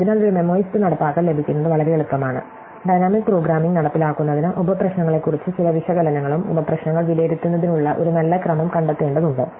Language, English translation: Malayalam, So, therefore, getting a memoized implementation is very easy, getting a dynamic programing implementation requires some analysis of the subproblems and figuring out a good order in which to evaluate the sub problems